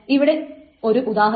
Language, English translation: Malayalam, So here is the example